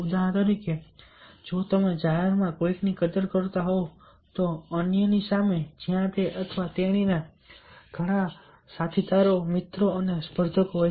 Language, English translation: Gujarati, for example, ah, if you are appreciating somebody in public, ah, sometimes in front of others, where the he or she is having lots of his colleagues, friends and competitors